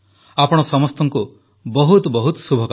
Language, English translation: Odia, My best wishes to all of you